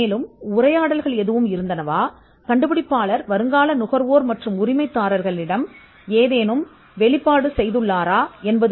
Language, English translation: Tamil, And whether there are any dialogue or whether the inventor had made any disclosure to prospective buyers and licenses